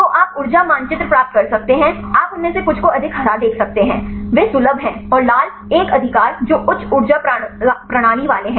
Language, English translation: Hindi, So, you can get the energy map you can see some of them more green they are accessible and the red one right which are having the high energy system